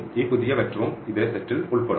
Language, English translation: Malayalam, So, this, the new vector, will also belong to the same set